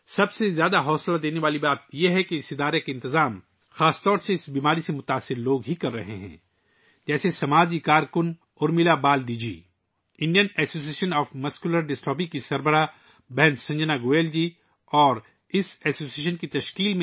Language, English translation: Urdu, The most encouraging thing is that the management of this organization is mainly done by people suffering from this disease, like social worker, Urmila Baldi ji, President of Indian Association Of Muscular Dystrophy Sister Sanjana Goyal ji, and other members of this association